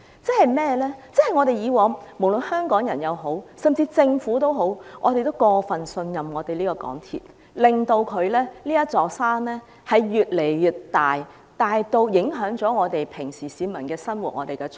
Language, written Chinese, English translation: Cantonese, 過去無論是香港人，甚至政府都過分信任港鐵公司，令這座山越來越大，大至影響市民的日常生活和出行。, In the past Hong Kong people and even the Government have placed too much trust in MTRCL making this mountain bigger and bigger in a way that the daily life and transport needs of the public are affected